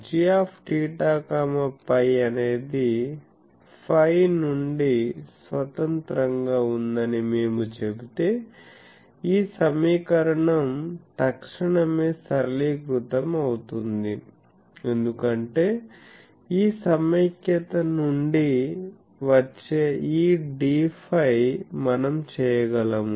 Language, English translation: Telugu, So, if we say that g theta phi is independent of phi then this equation readily gets simplified because this d phi that comes out this integration we can perform